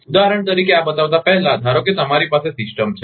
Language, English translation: Gujarati, For example, before showing this, suppose you have a system